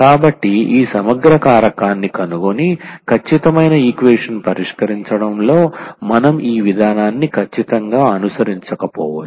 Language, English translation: Telugu, So, we may not follow exactly this approach here finding this integrating factor and then solving the exact equation